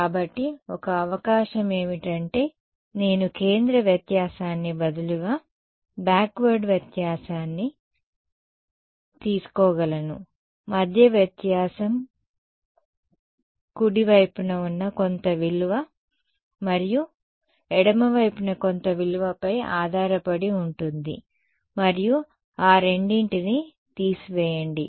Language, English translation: Telugu, So, one possibility is that I can take a backward difference instead of a centre difference; centre difference depends on some value to the right and some value to the left and subtract those two